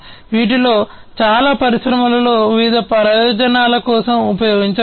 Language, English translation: Telugu, Many of these could be used for different purposes in the industries